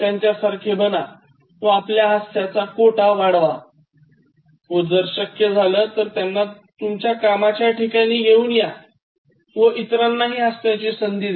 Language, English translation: Marathi, So that you go to their level and then increase your laughter quota and if possible, bring that to the office and then share it with others